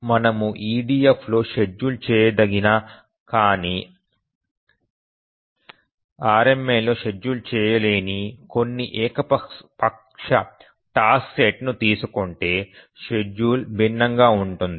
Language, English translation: Telugu, So can we take some arbitrary task set which is schedulable in EDF but not schedulable in RMA and then the schedule will be different